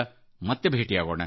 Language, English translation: Kannada, We shall meet